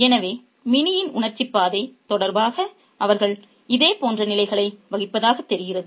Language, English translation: Tamil, So, they seem to occupy similar positions in relation to Minnie's emotional trajectory